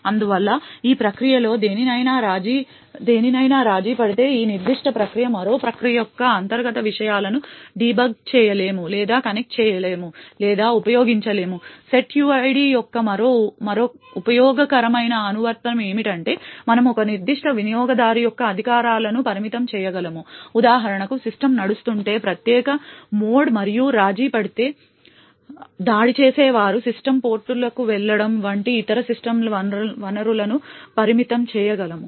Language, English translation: Telugu, Thus if any of these processes gets compromised this particular process cannot debug or connect or use the internal contents of another process, further another useful application of setuid is that we could limit the privileges of a particular user, say for example if the system runs in privileged mode and is compromised, the attacker can manipulate other system resources like going to system ports etc